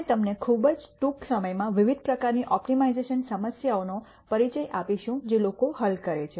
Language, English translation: Gujarati, We will also introduce you very very briefly to the various types of optimiza tion problems that people solve